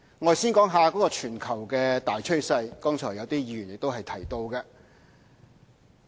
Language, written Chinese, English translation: Cantonese, 我先說全球大趨勢，剛才亦有些議員提到這點。, First of all let me say something about the global trend . Just now some Members also mentioned this point